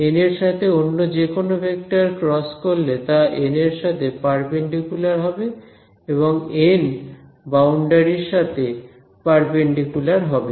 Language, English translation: Bengali, n cross any vector will be perpendicular to n and n is perpendicular to the boundary